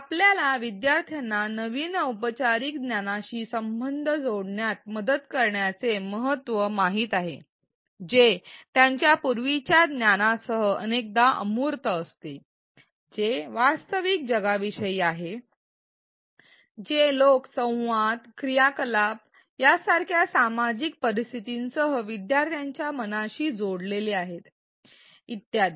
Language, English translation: Marathi, We know the importance of helping learners connect new formal knowledge which is often abstract with their prior knowledge which is typically about the real world which is linked in the learners mind with the social circumstances such as the people, the interactions, the activities and so on